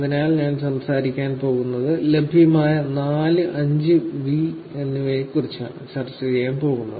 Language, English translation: Malayalam, So, I am going to talk about, I am going to discuss about the 4 and the 5th V’s that is available